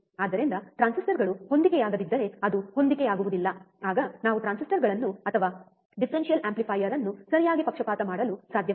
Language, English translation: Kannada, So, if the transistors are not matching it does not match then we cannot bias the transistors or differential amplifier correctly